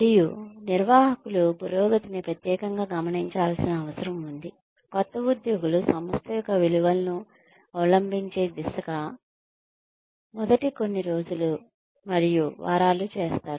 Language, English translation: Telugu, And, managers need to take special note of the progress, new employees are making, in the first few days and weeks, towards adopting the values of the organization